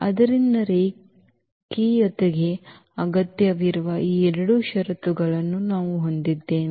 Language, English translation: Kannada, So, we have these 2 conditions required for the linearity